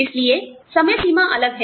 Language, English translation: Hindi, So, the deadlines are different